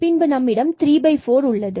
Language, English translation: Tamil, So now, we will 3 by 4